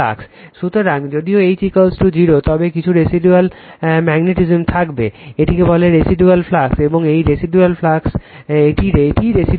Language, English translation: Bengali, So, although H is equal to 0, but some residual magnetism will be there, this is called your what you call that residual flux right, and this is residual flux density